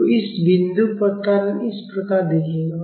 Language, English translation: Hindi, So, this is how the acceleration at this point will look like